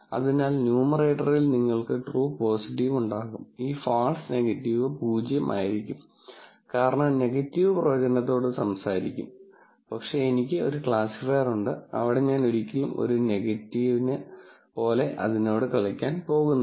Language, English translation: Malayalam, So, you will have true positive on the numerator divided by true positive, and this false negative will be 0 and the false negative will be 0, because negative speaks to the prediction, but I have a classifier, where I am never going to play it like negative